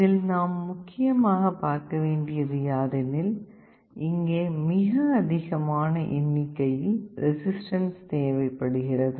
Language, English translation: Tamil, The first thing you note is here is that the number of resistances required are much more